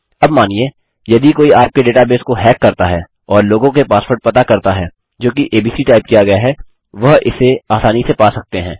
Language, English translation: Hindi, Now if you say someone hacked into your database and finds out peoples passwords which is typed in as abc, they will be able to get it easily